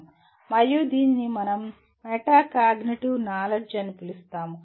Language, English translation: Telugu, And this we are going to address what we call metacognitive knowledge